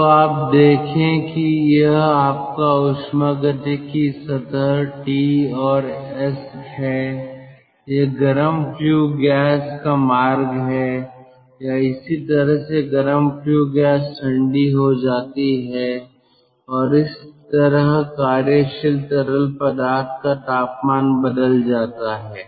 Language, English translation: Hindi, so you see, if this is your thermodynamic plane t and s, this is the path of the hot flue gas, or this is how the hot flue gas gets cooled, and then this is how you are working fluid changes its temperature